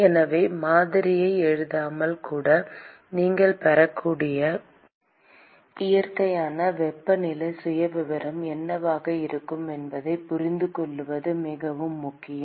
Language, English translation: Tamil, So, it is very important to intuit what is going to be the natural temperature profile that you would get even without writing the model